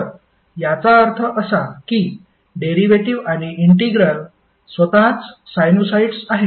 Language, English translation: Marathi, So, it means that the derivative and integral would itself would be sinusoids